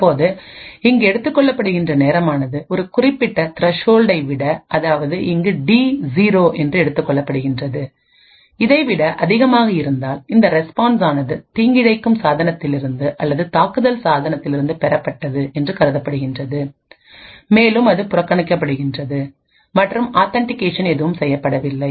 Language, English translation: Tamil, Now if the time taken is greater than some particular threshold in this case T0, then it is assumed that the response is obtained from malicious device or from an attacker device and is ignored and no authentication is done